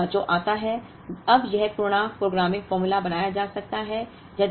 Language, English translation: Hindi, 2nd issue that comes is, now this integer programming formulation can be made